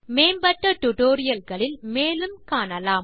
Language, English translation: Tamil, We will learn more about them in more advanced tutorials